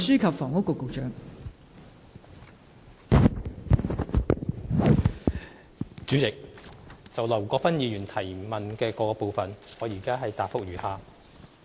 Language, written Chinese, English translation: Cantonese, 代理主席，就劉國勳議員質詢的各個部分，現答覆如下。, Deputy President my reply to the various parts of Mr LAU Kwok - fans question is as follows